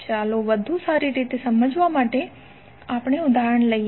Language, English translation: Gujarati, Let us see the example for better understanding